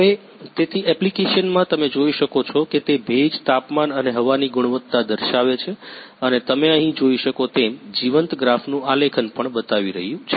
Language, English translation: Gujarati, in the application you can see it is showing humidity, temperature and air quality and also plotting the live graph as you can see here